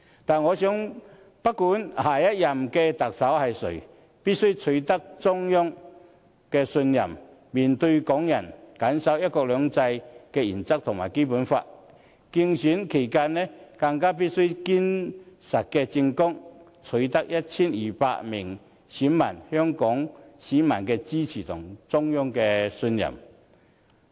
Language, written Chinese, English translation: Cantonese, 但我認為，不管下任特首是誰，必須取得中央的信任，面對港人，謹守"一國兩制"原則和《基本法》，競選期間，更須以堅實的政綱，取得 1,200 名選委、香港市民的支持和中央的信任。, In my opinion however no matter who will become the next Chief Executive he or she must win the trust of the Central Government and be accountable to Hong Kong people . He or she must also stand by the principle of one country two systems and the Basic Law . He or she must also present a solid election platform in their election campaign to win the votes of the 1 200 members of the Election Committee and to secure the support of Hong Kong people and the trust of the Central Government